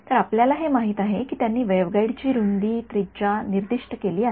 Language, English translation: Marathi, So, they have a you know the width of the waveguide radius all of these have been specified